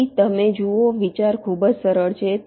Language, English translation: Gujarati, see, the idea is simple